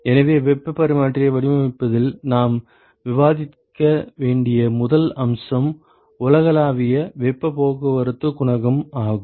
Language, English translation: Tamil, So, what we need the first aspect we need to discuss in terms of designing heat exchanger is the ‘universal heat transport coefficient’